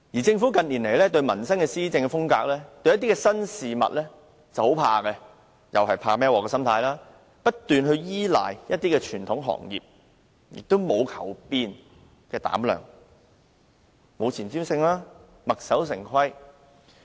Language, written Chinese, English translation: Cantonese, 政府近年面對民生議題及新事物時，施政時往往怕"孭鑊"，因而不斷依賴傳統行業，沒有求變的膽量，沒有前瞻性，墨守成規。, When faced with livelihood - related issues or new situations in recent years the Government out of fear for bearing responsibilities only keeps relying on traditional industries without the courage and the foresight to make changes . It only sticks to the old rut